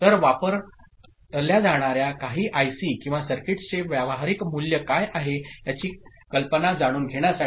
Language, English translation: Marathi, So, to get an idea about what are the practical values some of the you know ICs or circuits that are used